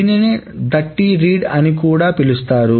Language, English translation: Telugu, This is also sometimes called the Dirty Read